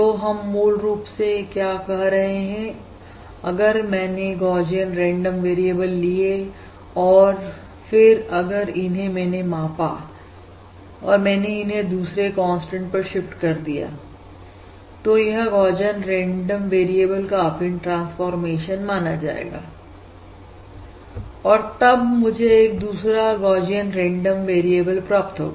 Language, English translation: Hindi, So what we are saying is basically the following thing: If I take a Gaussian random variable, if I scale it and if I shift it by another constant, right, that is, I consider affined transformation of this Gaussian random variable, I basically get another Gaussian random variable, Right